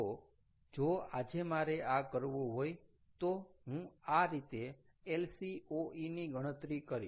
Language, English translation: Gujarati, so today, if i have to do this, this is how i am going to calculate lcoe